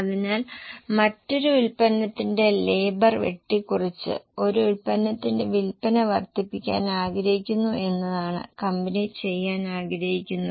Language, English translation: Malayalam, So, what company wants to do is wanting to increase the sale of one product by cutting down the labor of other product